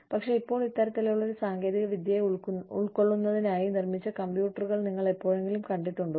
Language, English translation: Malayalam, But, now, do you ever, are computers, even being built to accommodate, that kind of technology